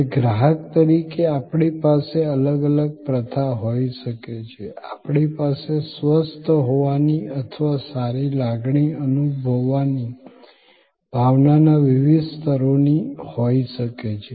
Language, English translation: Gujarati, Now, as consumers we may have different modes, we may have different levels of sense of being feeling healthy or feeling well